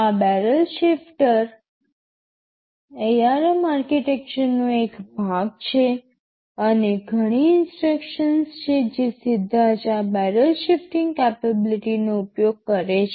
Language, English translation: Gujarati, TSo, this barrel shifter is part of the ARM architecture and there are many instructions which directly utilize this barrel shifting capability